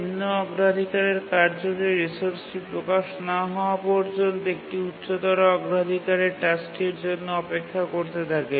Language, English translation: Bengali, Here when a lower priority task is holding a resource, a higher priority task has to wait until the lower priority task releases the resource